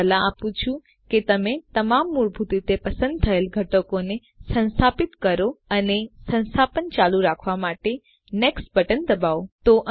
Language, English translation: Gujarati, I advise you to install all the components selected by default and hit the next button to continue the installation